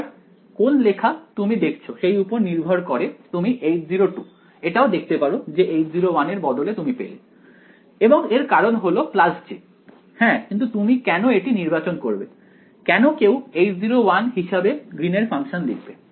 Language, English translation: Bengali, Again depending on which text you look at you might find instead of H naught 2 you might find H naught 1 and the reason for that would be j plus j by yeah, but why would you choose; why would anyone write the Green’s function as H naught 1